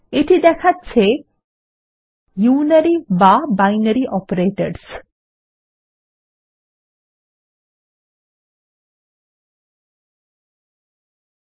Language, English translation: Bengali, The tool tip here says Unary or Binary Operators